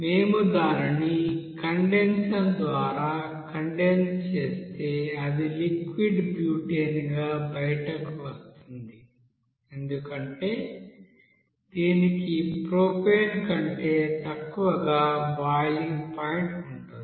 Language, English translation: Telugu, And after that if we you know condense it through a condenser and it will be you know taken out as a you know liquid butane because here butane will be coming out as it has the boiling point is less than that is propane